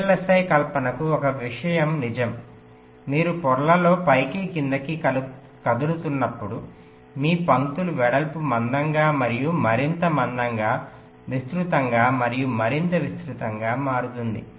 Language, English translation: Telugu, now one thing is true for vlsi fabrications: as you move up and up in the layers, the width of your lines become thicker and thicker, wider and wider